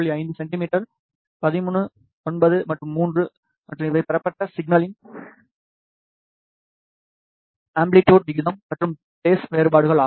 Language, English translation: Tamil, 5 centimeter 13 9 and 3 and these are the amplitude ratio and phase differences of the received signals